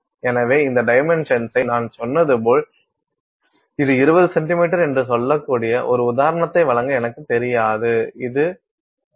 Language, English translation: Tamil, So, this dimension I like I said this is I do not know to give you an example this could say 20 centimeters, this could be 0